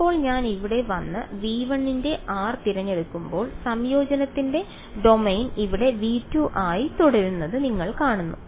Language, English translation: Malayalam, Now when I come to here and I choose r belonging to v 1 then you see this the domain of integration remains v 2 over here